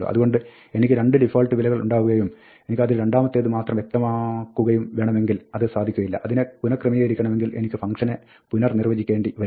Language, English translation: Malayalam, So, if I have 2 default values, and if I want to only specify the second of them, it is not possible; I will have to redefine the function to reorder it